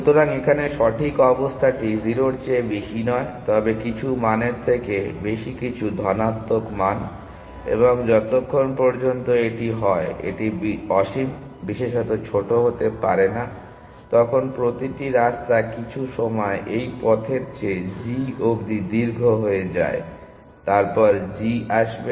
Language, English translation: Bengali, So, which is where the correct condition is not greater than 0, but greater than some value some positive value and as long as that is the case, it cannot be infinite especially small then every path fill at some point become longer than this path to g, and then g will come into